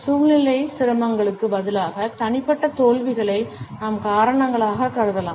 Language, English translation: Tamil, We can assume personal failures as reasons instead of situational difficulties